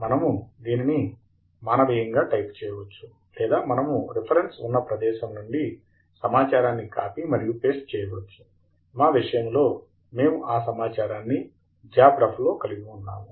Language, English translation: Telugu, We can either type it out manually or we could copy paste it from some other location where we have the reference information; in our case, we have them in JabRef